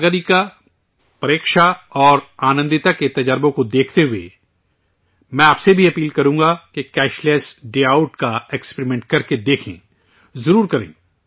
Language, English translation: Urdu, Looking at the experiences of Sagarika, Preksha and Anandita, I would also urge you to try the experiment of Cashless Day Out, definitely do it